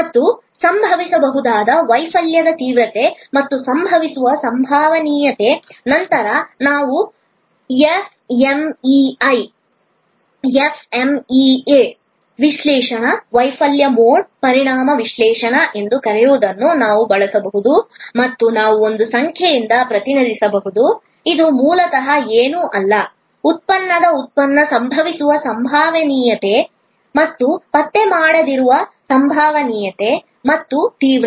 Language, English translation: Kannada, And severity of the failure that can happen and the probability of occurrence, then we can use something what we call the FMEA analysis, the Failure Mode Effect Analysis by and we can represented by a number, which is basically nothing but, a product of the probability of the occurrence and the probability of non detection and the severity